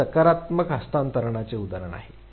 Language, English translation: Marathi, This is an example of positive transfer